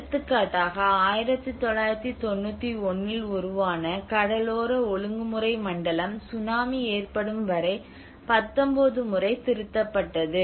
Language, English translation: Tamil, For example, the coastal regulation zone which was formed in 1991 and revised 19 times until the tsunami have struck